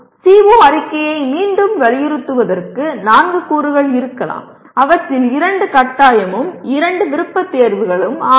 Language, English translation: Tamil, Again to reiterate the CO statement can have four elements out of which two are compulsory and two are optional